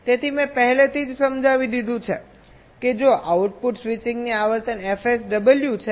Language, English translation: Gujarati, already i have ah explained that if the frequency of output switching is f